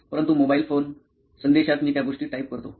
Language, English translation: Marathi, But mobile phone, in message I type those things